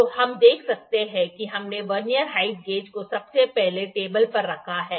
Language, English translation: Hindi, So, you can see that this Vernier height gauge is here